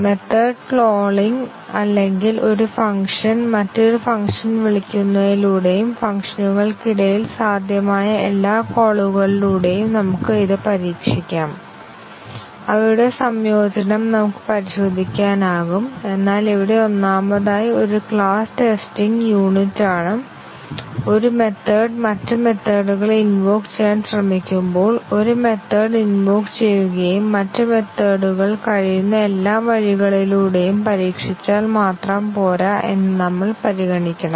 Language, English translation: Malayalam, We could test it by method calling or a function calling another function and all possible calls among the functions, we could test their integration, but here first of all, a class is a unit of testing and when we try to test a method invoking other methods, we must also consider that just testing a method all possible ways another method can be invoked is not enough